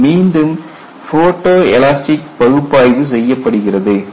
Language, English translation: Tamil, This is again then by photo elastic analysis